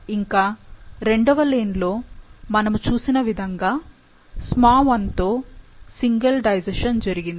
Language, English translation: Telugu, Also, as you see in the second lane, a single digestion with SmaI has been done